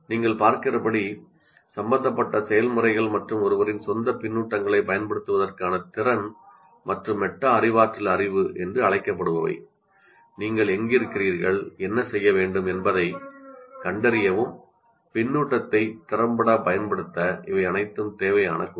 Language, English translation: Tamil, So as you can see, the processes involved and ability to make use of one's own feedback and the so called metacognitive knowledge, that means to find out where you are and what you are required to do, these are all required elements to make effective use of feedback